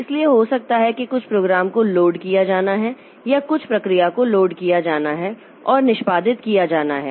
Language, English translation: Hindi, Then there are load and execute so maybe some program has to be loaded or some process has to be loaded or process has to be executed